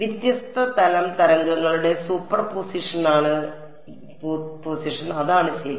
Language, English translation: Malayalam, Superposition of different plane waves that is what it is right